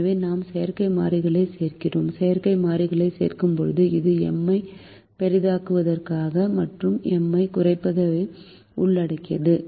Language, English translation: Tamil, and when we add artificial variables we will have this involving the minus m for maximization and plus m for minimization